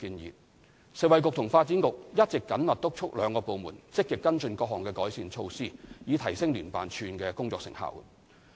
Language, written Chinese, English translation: Cantonese, 食物及衞生局及發展局一直緊密督促兩個部門積極跟進各項改善措施，以提升聯辦處的工作成效。, The Food and Health Bureau and the Development Bureau have been closely supervising the two departments to actively follow up the various improvement measures so as to enhance the effectiveness of JO